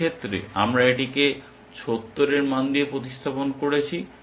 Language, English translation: Bengali, In this case we replace this with a value of 70